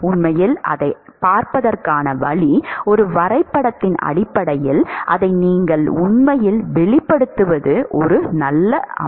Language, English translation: Tamil, In fact, the way to see that is you can actually express it in terms of a plot a graph is one way